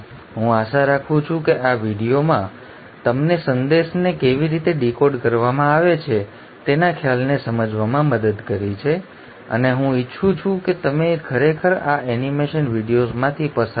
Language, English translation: Gujarati, I hope this video has helped you understand the concept of how the message is decoded and I would like you to really go through these animation videos